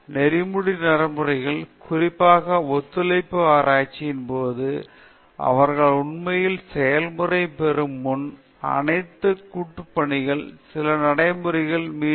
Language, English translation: Tamil, So, the ethical practices, when particularly in collaborative research, it is important that all the collaborators agree upon certain practices, before they really get into the process